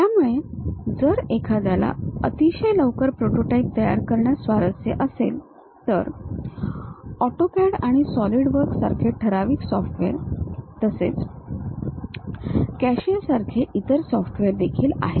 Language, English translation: Marathi, So, if one is interested in preparing very quick prototype, the typical softwares like AutoCAD and SolidWorks; there are other softwares also like CATIA